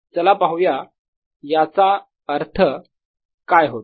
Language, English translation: Marathi, let us see that what it means